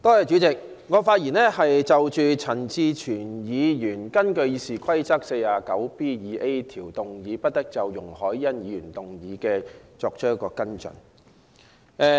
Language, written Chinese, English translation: Cantonese, 主席，我謹就陳志全議員根據《議事規則》第 49B 條動議，不得就容海恩議員動議的議案作出跟進的議案發言。, President I am speaking on the motion moved by Mr CHAN Chi - chuen under Rule 49B2A of the Rules of Procedure that no further action shall be taken on the motion moved by Ms YUNG Hoi - yan